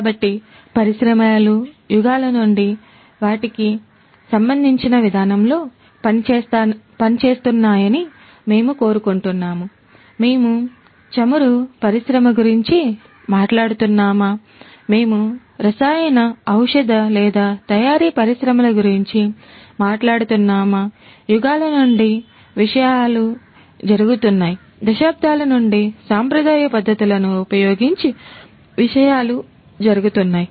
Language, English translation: Telugu, So, we want to industries have been operating in their respective fashions since ages; whether we are talking about the oil industry; whether we are talking about the chemical, pharmaceutical or manufacturing industries; things have been going on since ages, since decades, things have been carried on using traditional methodologies